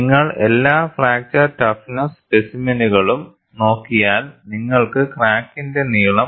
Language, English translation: Malayalam, And if you look at, for all the fracture toughness specimens, we would have the length of the crack is around 0